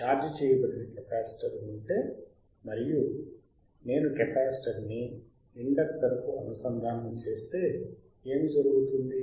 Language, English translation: Telugu, If there is a capacitor which is charged and if I connect the capacitor to an inductor, what will happen